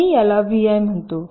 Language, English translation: Marathi, i call it v i